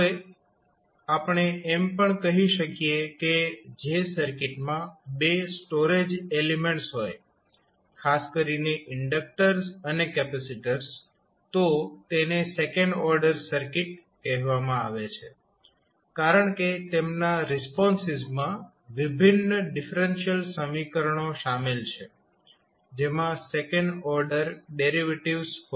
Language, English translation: Gujarati, Now, we can also say that the circuit which contains 2 storage elements particularly inductors and capacitors then those are called as a second order circuit because their responses include differential equations that contain second order derivatives